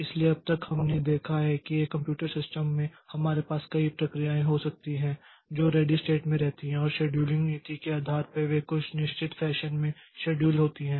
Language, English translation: Hindi, So, so far we have seen that in a computer system we can have several processes that resides in the ready state and depending upon the scheduling policy, so they are scheduled in certain fashion